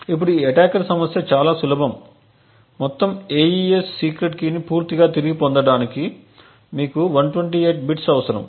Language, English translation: Telugu, Now the problem with this attacker is extremely simple is the fact that you would require 128 bits to completely recover the entire AES secret key